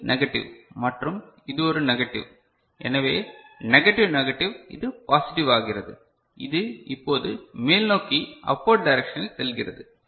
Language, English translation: Tamil, So, this is negative means and this is a negative right so, negative negative it is becoming positive; so, it will now go in the upward direction right